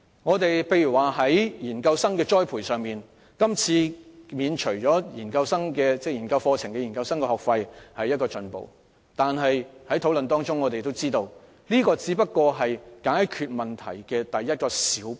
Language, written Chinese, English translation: Cantonese, 舉例而言，在研究生的栽培上，今次免除他們修讀研究生課程的學費是一種進步。但從討論中，我們得知這只是解決問題的一小步。, For instance on the nurturing of research postgraduates the waiver of tuition fees for students of postgraduate programmes is an advancement but from the discussion we have learnt that this is no more than a small step taken to solve the problem